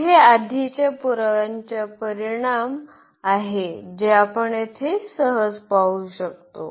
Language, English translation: Marathi, So, these are the consequence of the earlier proof which we can easily see here